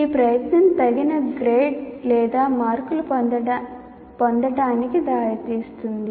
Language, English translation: Telugu, So this effort will lead to getting the appropriate grade or marks